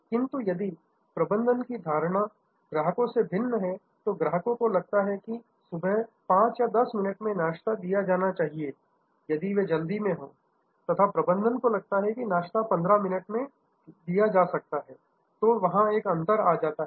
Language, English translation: Hindi, But, if that management perception of customer expectation is different from what the customer, the customer feels that the breakfast must be delivered in 5 minutes or 10 minutes in the morning, when there in hurry and a management feels that 15 minutes is, then there is a gap